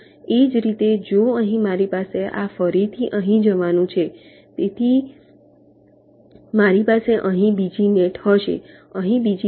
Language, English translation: Gujarati, similarly, if here i have this going here again, so i will be having another net out here, there will be another net here